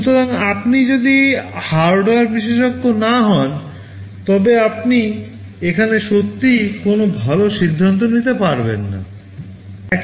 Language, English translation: Bengali, So, unless you are a hardware expert, you really cannot take a good decision here